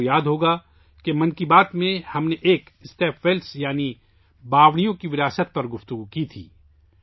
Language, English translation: Urdu, You will remember, in 'Mann Ki Baat' we once discussed the legacy of step wells